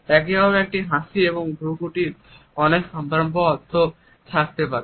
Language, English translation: Bengali, In the same way, a single smile or a single frown may have different possible meanings